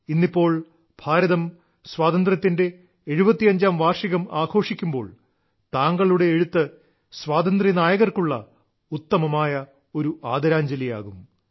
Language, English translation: Malayalam, Now, as India will celebrate 75 years of her freedom, your writings will be the best tribute to those heroes of our freedom